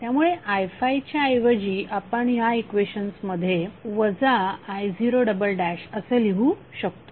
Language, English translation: Marathi, So instead of i5 we can write minus i0 double dash in this equations